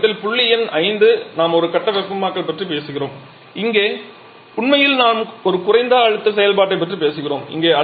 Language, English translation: Tamil, So, in this side the point number 5 where we are talking about a single visiting here actually are talking about a low pressure operation